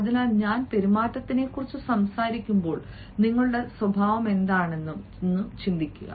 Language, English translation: Malayalam, so when i talk about behavior, i also think about what is your nature